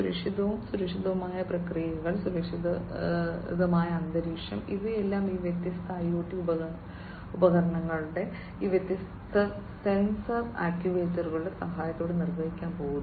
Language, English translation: Malayalam, Safe and secure processes, safe and secure environment, these are all going to be performed with the help of these different IoT devices, these different sensors actuators etcetera